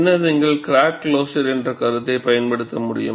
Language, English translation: Tamil, Then, you will be able to use concept of crack closure